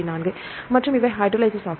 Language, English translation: Tamil, 4 and these are hydrolases